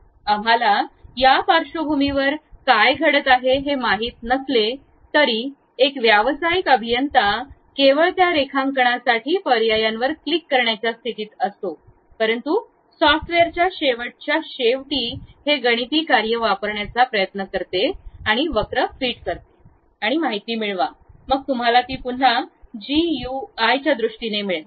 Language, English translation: Marathi, Though, we do not know what is happening at that backend, because a professional engineer will be in a position to only click the options try to draw that, but at back end of the software what it does is it uses this mathematical functions try to fit the curve and get the information, then that you will again get it in terms of GUI